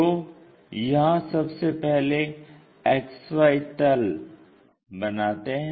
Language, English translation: Hindi, So, here the XY plane first one has to construct